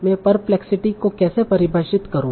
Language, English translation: Hindi, So how do I define perplexity